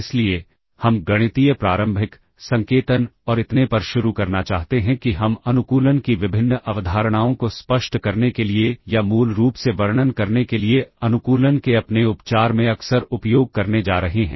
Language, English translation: Hindi, So, we want to start with the mathematical preliminaries, the notation and so on that we are going to use frequently in our treatment of optimization in order to illustrate or in order to basically describe the various concepts of optimization ok